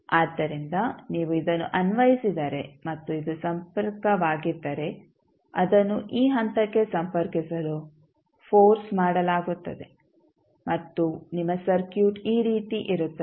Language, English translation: Kannada, So, if you apply this and this is the connection then it will be forced to connect to this particular point and your circuit would be like this